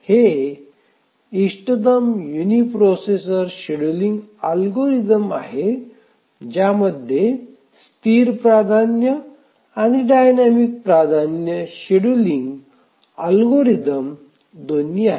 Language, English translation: Marathi, It is the optimal uniprocessor scheduling algorithm including both static priority and dynamic priority scheduling algorithms